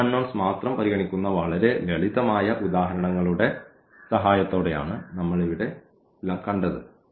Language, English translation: Malayalam, But, we have seen here with the help of very simple examples where we have considered only two unknowns